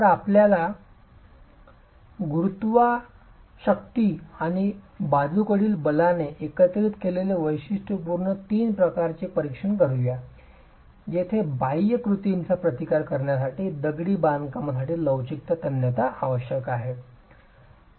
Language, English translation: Marathi, So, let's examine the three typical cases when you have a combination of gravity forces and lateral forces where the flexual tensile strength is required for the masonry to resist the external actions